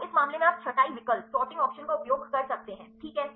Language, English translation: Hindi, So, in this case you can use the sorting option ok